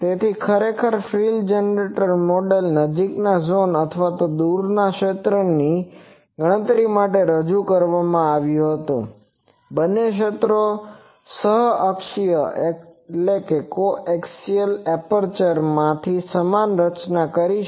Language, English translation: Gujarati, Actually the frill generator model was introduced to calculate the near zone or far zone both fields can be done with the same formulation from co axial apertures